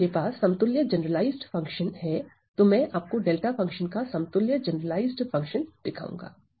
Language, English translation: Hindi, So, if I have generalized function equivalent, I am going to show you the generalized function equivalent of delta function right